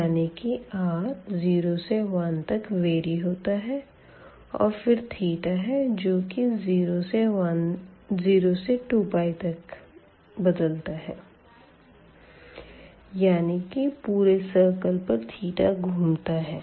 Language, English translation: Hindi, So, r is moving from 0 to 1 and then the theta is moving from 0 to 2 pi the whole circle